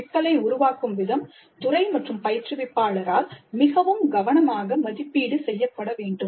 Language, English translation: Tamil, So the way the problem is formulated has to be very carefully evaluated by the department and the instructor and the problem must be formulated in a fuzzy way